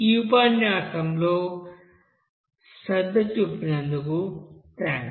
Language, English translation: Telugu, So thank you for giving attention in this lecture